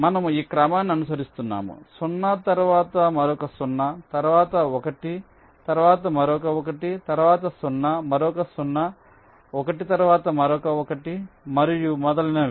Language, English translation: Telugu, we are following this sequence: zero, then another zero, then a one, then another one, then a zero, another zero, one, then another one, and so on